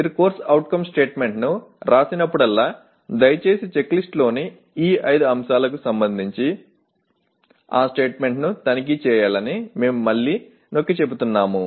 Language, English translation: Telugu, Again, we reemphasize that whenever you write a CO statement please check that statement with respect to these 5 items in the checklist